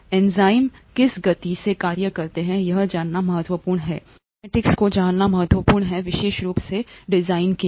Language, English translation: Hindi, The speeds at which enzymes act are important to know, the kinetics is important to know of especially for design